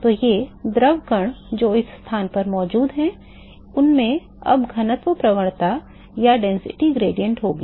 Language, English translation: Hindi, So, these fluid particles which is present in this location will now have a density gradient